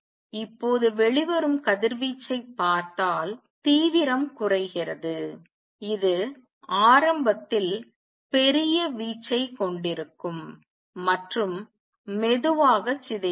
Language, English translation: Tamil, Now the intensity comes down if you look at the radiation coming out it would be large amplitude in the beginning and slowly decays